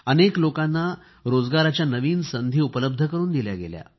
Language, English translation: Marathi, New employment opportunities were created for a number of people